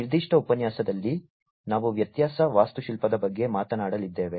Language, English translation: Kannada, In this particular lecture, we are going to talk about the difference architecture